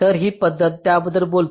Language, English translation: Marathi, so this method talks about that